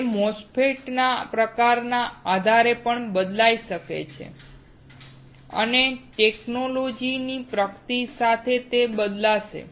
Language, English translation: Gujarati, It can also vary depending on type of MOSFET and with the technology advancement, it will change